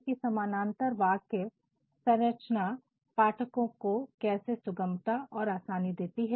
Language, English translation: Hindi, Now, we shall see how parallel structures bring a sort of ease and comfort to the readers